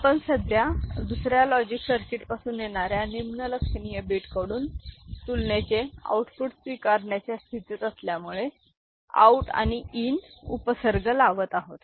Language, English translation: Marathi, So, now, we are putting a out and in prefix in these cases because we are now in a position to accept output of comparison from lower significant bits from another logic circuit, ok